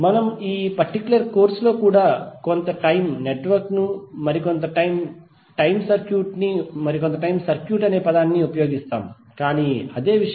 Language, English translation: Telugu, So we in this particular course also we will used some time network some time circuit, but that means the same thing